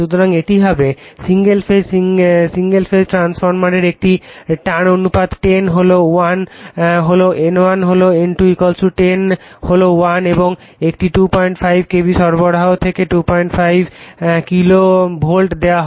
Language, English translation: Bengali, So, that will be single phase single phase transformer has a turns ratio 10 is to 1 that is N1 is to N2 = 10 is to 1 and is fed from a 2